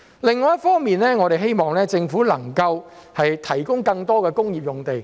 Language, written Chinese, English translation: Cantonese, 另一方面，我們希望政府能夠提供更多工業用地。, On the other hand we hope that the Government can provide more industrial land